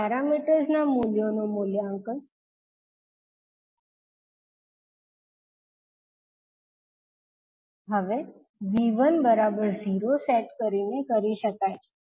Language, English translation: Gujarati, The values of these parameters can be evaluated by now setting V1 equal to 0